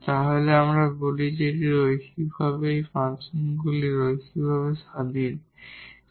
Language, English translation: Bengali, Then we call that these set here is linearly independent or these functions are linearly independent